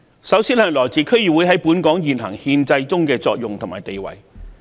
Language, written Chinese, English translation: Cantonese, 首先是區議會在本港現行憲制中的作用和地位。, The first one concerns the functions and role of DC in the existing constitutional system of Hong Kong